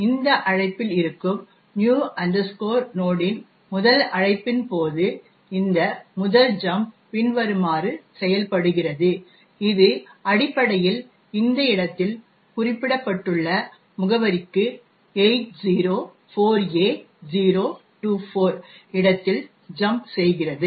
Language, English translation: Tamil, So, during the first call of new node which is at this call, so this first jump works as follows, it essentially jumps to the address which is specified in this location over here that is the location 804A024